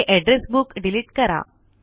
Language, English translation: Marathi, What is an Address Book